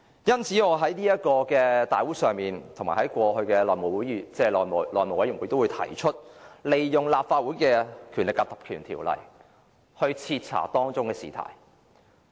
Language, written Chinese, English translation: Cantonese, 因此，我在立法會大會及過去的內務委員會都提出引用《立法會條例》徹查這事件。, This explains the proposal I put forward at various Council meetings and House Committee meetings in the past to invoke the Legislative Council Ordinance for conducting a thorough inquiry into this incident